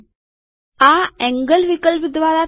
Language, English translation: Gujarati, This is done by the angle option